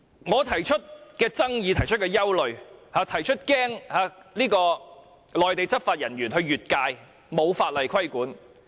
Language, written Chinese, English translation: Cantonese, 我提出了爭議、提出的憂慮、提出擔心內地執法人員越界，沒有法例規管的問題。, I put forward my arguments and concerns . I worried Mainland law enforcement agents would cross the boundary but no laws could regulate such acts